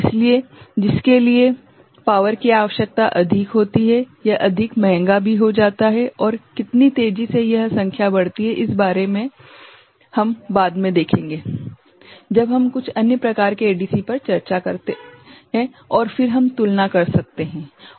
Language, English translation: Hindi, So, for which power requirement is more it becomes more expensive also and regarding how fast it is some numbers we shall see later when we discuss some other types of ADC and then we can have a comparison right